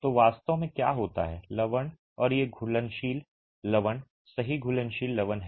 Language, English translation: Hindi, So, what really happens is the salts and these are soluble salts, right